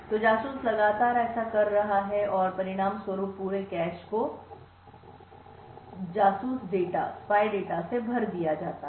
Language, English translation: Hindi, So, spy is continuously doing this and as a result the entire cache is filled with the spy data